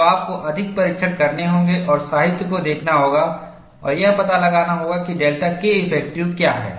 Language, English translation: Hindi, So, you have to perform more tests and look at the literature and find out, how to get the delta K effective